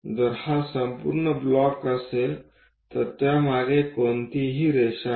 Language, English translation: Marathi, If it is a complete block, there is no line behind that